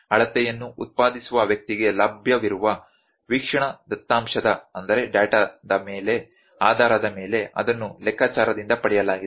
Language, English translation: Kannada, If it is derived from the calculation based upon the observation data available to the person producing the measurement